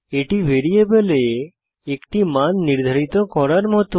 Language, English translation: Bengali, It is like assigning a value to a variable